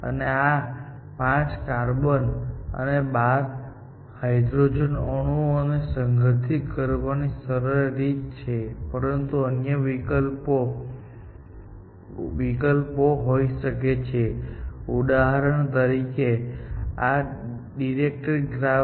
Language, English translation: Gujarati, A simple way of organizing this 5 carbon atoms and 12 hydrogen atoms, but there could be other options, essentially